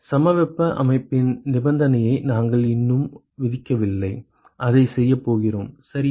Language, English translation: Tamil, We have not yet imposed the condition of isothermal system yet we are going to do that ok